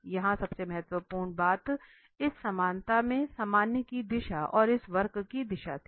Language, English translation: Hindi, The most important point here in this equality was the direction of the normal and the direction of this curve, the orientation of the curve